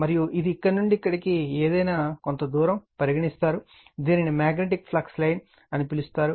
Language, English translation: Telugu, And this is any from here to here, it is taken some distance are right, this is your what to call the magnetic flux line